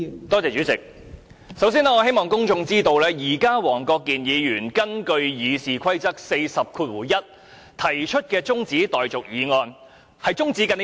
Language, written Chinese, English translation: Cantonese, 代理主席，首先，我希望公眾知道，現在黃國健議員根據《議事規則》第401條提出的中止待續議案是中止甚麼？, Deputy President first of all concerning Mr WONG Kwok - kins motion under Rule 401 of the Rules of Procedure that the debate be now adjourned I want the public to know what he is trying to adjourn and if his adjournment motion is passed what objective consequence it will bring forth